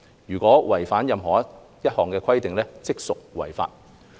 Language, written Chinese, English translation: Cantonese, 如有違反任何一項規定，即屬違法。, It is an offence to contravene either rule